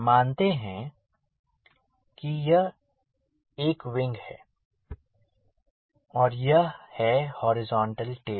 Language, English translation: Hindi, suppose this is a wing and this is the horizontal tail